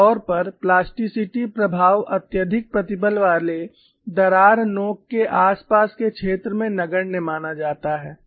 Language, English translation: Hindi, Usually the plasticity effects are assumed to be negligible in the highly stressed crack tip vicinity